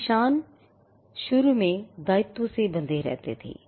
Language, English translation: Hindi, Marks initially used to be tied to liability